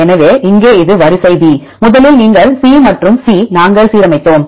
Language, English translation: Tamil, So, here this is sequence b; first you C and C we aligned